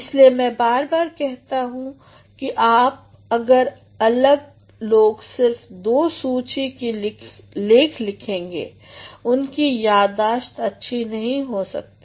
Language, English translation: Hindi, That is why time and again I have been saying that if people who do two lists of writing they cannot have a good memory